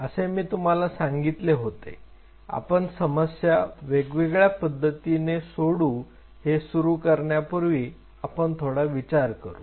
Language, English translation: Marathi, Now when I have said you we could target the problem in a different way before I get into that now think of it